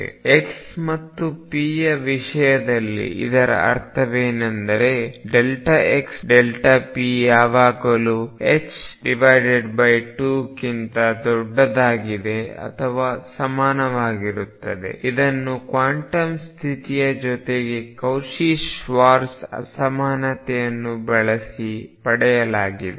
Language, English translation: Kannada, And in terms of x and p what it meant was the delta x, delta px is always going to be greater than or equal to h cross by 2 this was obtained, using the Cauchy Schwartz inequality, along with the quantum condition